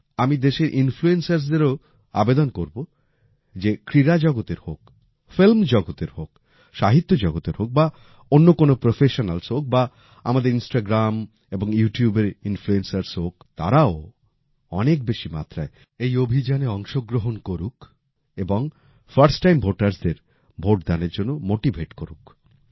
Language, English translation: Bengali, I would also urge the influencers of the country, whether they are from the sports world, film industry, literature world, other professionals or our Instagram and YouTube influencers, they too should actively participate in this campaign and motivate our first time voters